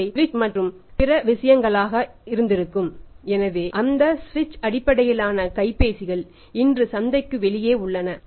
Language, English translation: Tamil, So, those switch based sensors are out of the market